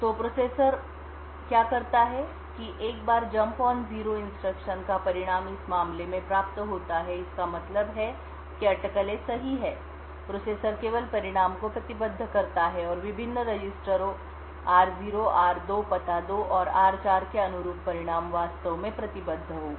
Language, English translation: Hindi, So what the processor does is that once this the result of this jump on no 0 is obtained in this case it means that the speculation is correct, the processor would only commit the results and the results corresponding to the various registers r0, r2 address 2 and r4 would be actually committed